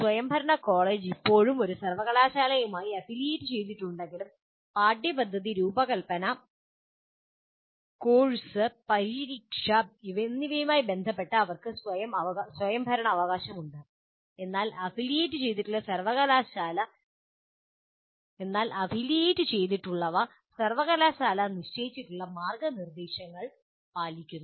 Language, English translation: Malayalam, Whereas autonomous college is still affiliated to a university, but they have autonomy with respect to the curriculum design and conducting the course and conducting the examination, but with following some guidelines stipulated by the university to which they're affiliated